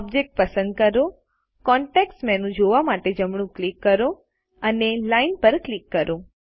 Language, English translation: Gujarati, Select the object, right click to view the context menu and click Line